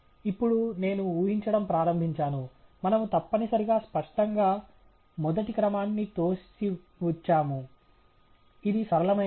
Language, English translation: Telugu, Now, I start guessing; we necessarily, obviously, rule out the first order, that is a linear one